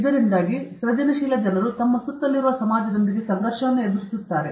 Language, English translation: Kannada, Because of this, creative people get into conflicts with the society around them